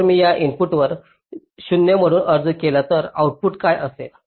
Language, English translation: Marathi, so if i apply a zero to this input, then what will be